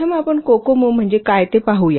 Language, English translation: Marathi, So let's first see what does cocomo stands for